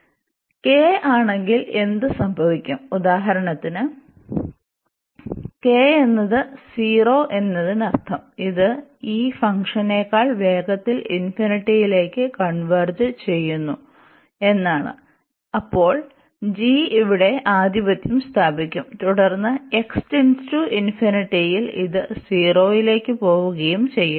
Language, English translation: Malayalam, Further, what will happen if this k is 0 for example; k is 0 means that this is converging faster to infinity than this one than this function, then only this will dominate here the g will dominate and then x goes to infinity this will go to 0